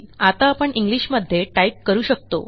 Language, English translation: Marathi, We can now type in English